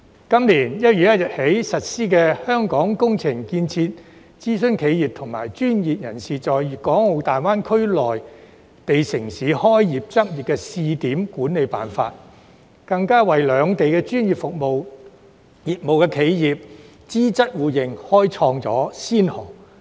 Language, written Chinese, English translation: Cantonese, 今年1月1日起實施《香港工程建設諮詢企業和專業人士在粤港澳大灣區內地城市開業執業試點管理暫行辦法》，更為兩地專業服務業企業資質互認開創先河。, The Interim Guidelines for the Management of Hong Kong Engineering Construction Consultant Enterprises and Professionals Starting Business and Practising in the Guangdong - Hong Kong - Macao Greater Bay Area Cities implemented on 1 January this year has blazed the trail for the mutual recognition of professional qualifications of enterprises providing professional services in the two places